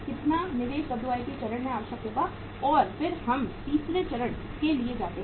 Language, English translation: Hindi, This will be this much investment will be required at the WIP stage and then we go for the third stage